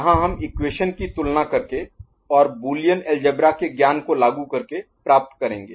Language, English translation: Hindi, Here we got by comparing the equation, and by applying some knowledge about this Boolean algebra ok